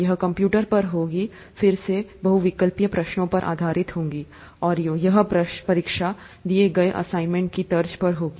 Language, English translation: Hindi, This will be on the computer, again multiple choice questions based, and these, this exam would be on the lines of the assignments that are given